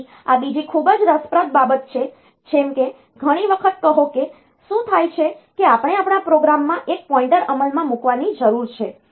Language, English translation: Gujarati, So, this is another very interesting thing like, say many times what happens is that we need to implement a pointer in our program